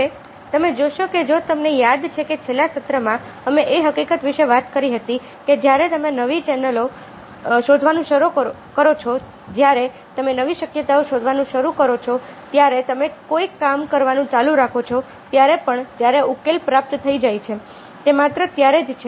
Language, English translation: Gujarati, now you see that, if you remember, in the last session we talked about the fact that when you start exploring new channels, when you start exploring new possibilities, when you keep on doing the thing, even when the solution has been achieved, ok, it is only then that there is the possibility of coming out something very, very new, something which you have not looked at